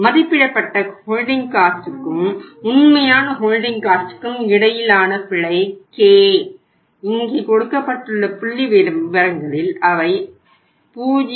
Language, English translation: Tamil, Error between estimated holding cost and the actual holding cost k and here we have out of the given figures here we have worked it out that is 0